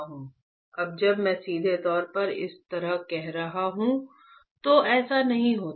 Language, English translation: Hindi, Now, when I am saying directly like this, it does not happen like this